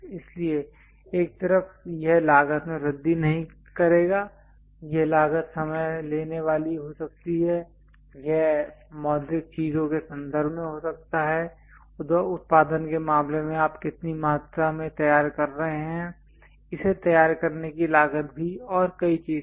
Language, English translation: Hindi, So, that on one side it would not increase the cost this cost can be time consuming it can be in terms of monetary things, in terms of production how much how many quantities you would like to ah prepare it that also cost and many things